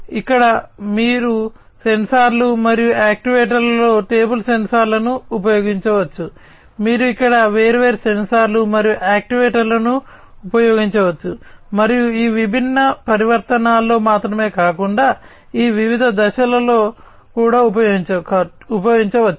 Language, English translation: Telugu, You could use table sensors over here sensors and actuators, you could use different sensors and actuators here and not only in these different transitions, but also in each of these different phases